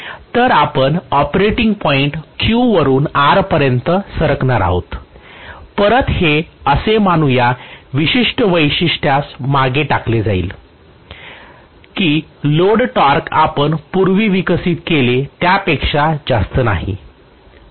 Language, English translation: Marathi, So you are going to have the operating point shifting from Q to R and again, this is going to traverse this particular characteristic assuming that the load torque is not as high as what we had developed earlier